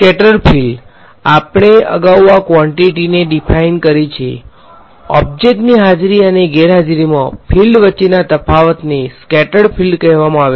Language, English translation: Gujarati, Scattered field we have defined this quantity earlier, then the difference between the fields in the presence and absence of an object is called the scattered field